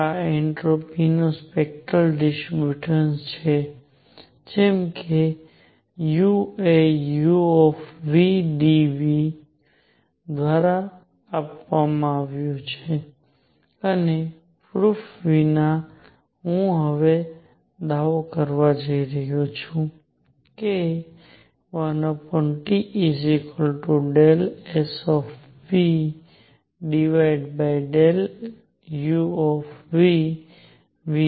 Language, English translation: Gujarati, This is spectral distribution of the entropy just like U is given by U nu d nu and without proof, I am now going to claim that 1 over T is also equal to d s nu over d U nu at constant volume